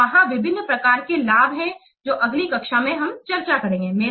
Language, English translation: Hindi, So, there are the different types of benefits are there which we will discuss in the next class